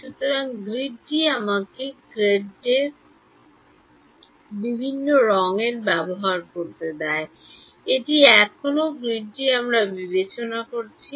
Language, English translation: Bengali, So, the grid is let me use a different color the grade is this, this is still the grid I am considering